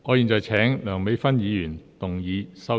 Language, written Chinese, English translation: Cantonese, 我現在請梁美芬議員動議修正案。, I now call upon Dr Priscilla LEUNG to move an amendment